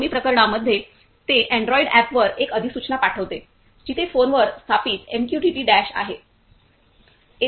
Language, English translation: Marathi, In both cases, it sends a notification on the android app where MQTT Dash which is installed on the phone